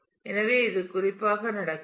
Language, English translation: Tamil, So, this is what happens particularly